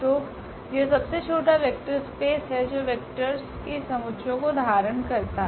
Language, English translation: Hindi, So, this is the smallest vector space containing the set of vectors